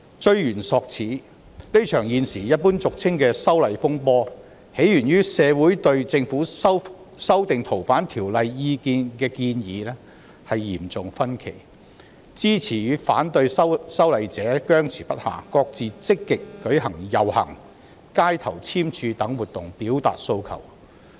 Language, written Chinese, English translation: Cantonese, 追源溯始，這場現時俗稱的"修例風波"，起源於社會對政府修訂《逃犯條例》的建議出現嚴重意見分歧，支持與反對修例者僵持不下，各自積極舉行遊行、街頭聯署等活動表達訴求。, This row over the legislative amendment was originated from the serious disagreement in society over the Governments proposed amendment to the Fugitive Offenders Ordinance . Supporters and opponents of the legislative amendment were engaged in endless wrangling and each side proactively organized activities such as processions street signature campaigns etc . to express their aspirations